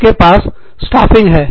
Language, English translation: Hindi, You have staffing